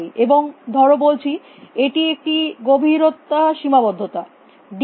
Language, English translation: Bengali, And let us say this a depth bound d b